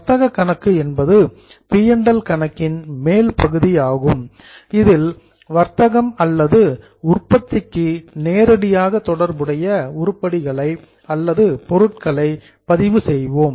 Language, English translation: Tamil, The trading account is the upper part of PNM where we will record those items which are directly related to trading or manufacturing